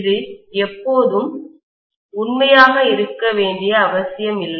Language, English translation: Tamil, This need not be always true